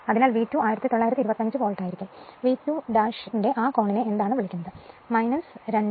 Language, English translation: Malayalam, So, V 2 will be 1925 Volt right and your what you call that angle of V 2 dash is minus 2 degree right